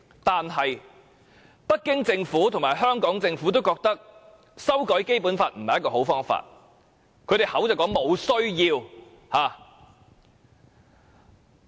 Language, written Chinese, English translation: Cantonese, 可是，北京政府及香港政府均認為，修改《基本法》不是好方法，亦沒有這需要。, Nonetheless both the Beijing and Hong Kong Governments held that amending the Basic Law is undesirable and unnecessary